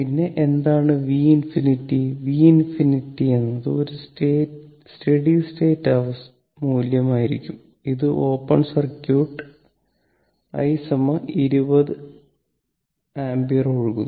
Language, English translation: Malayalam, Then, what is v infinity, then v infinity will be that is a steady state value, this is open circuit this I is flowing this i is half and it is 20